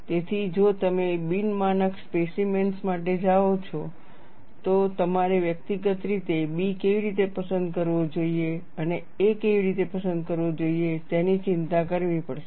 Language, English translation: Gujarati, So, if you go for non standard specimens, then, you will have to individually worry for how B should be selected and how a should be selected